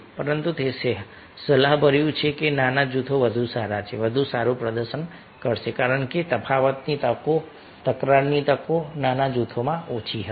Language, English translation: Gujarati, but it is advisable that smaller groups are better, will perform better, because chances of difference, chances of conflicts will be less in small groups